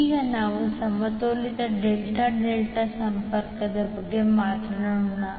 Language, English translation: Kannada, Now let us talk about the balanced Delta Delta Connection